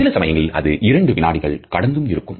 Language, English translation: Tamil, Sometimes lasting more than even a couple seconds